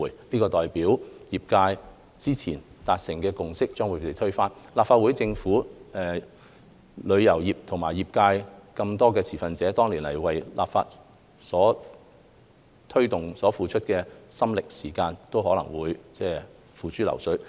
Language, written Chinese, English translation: Cantonese, 這代表業界之前達成的共識將被推翻，立法會、政府、旅遊業界等眾多持份者，多年來為推動立法所付出的心力和時間，都可能會付諸流水。, It would mean that the earlier consensus among trade members will be overthrown and the efforts and time put in by the Legislative Council the Government the travel trade and other stakeholders over the years to take forward the enactment of legislation will be in vain